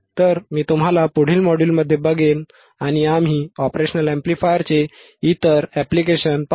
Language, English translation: Marathi, So, I will see you in the next module and we will see other applications of the operational amplifier